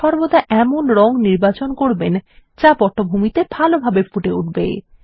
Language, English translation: Bengali, Always choose a color that is visible distinctly against its background